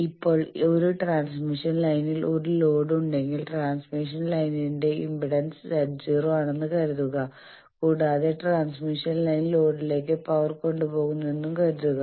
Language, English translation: Malayalam, Now, if I have a load in a transmission line and suppose the characteristic is impedance of the transmission line is Z naught then if the transmission line was carrying power towards the load